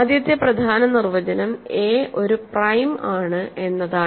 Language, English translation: Malayalam, So, the other important definition is a is prime